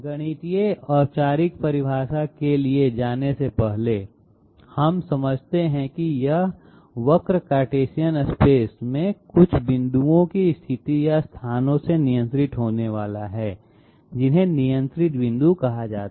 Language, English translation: Hindi, Before going for a mathematical formal definition, we understand that this curve is going to be controlled by the positions or locations of certain points in Cartesian space, which are called controlled points